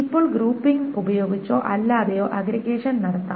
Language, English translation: Malayalam, Now aggregation can be done with or without grouping